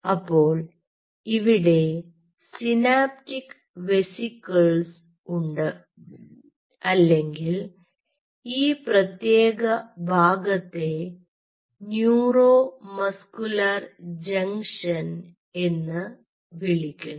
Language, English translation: Malayalam, so so here you have the synaptic vesicles, or this particular part is called neuromuscular junction